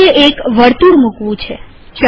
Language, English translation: Gujarati, I want to place a circle